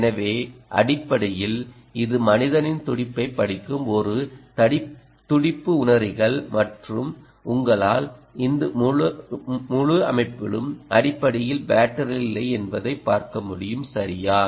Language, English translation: Tamil, so, basically, it's a pulse sensors reading the ah, the, the pulse of the human, and you can see that this whole system, ah, essentially has no battery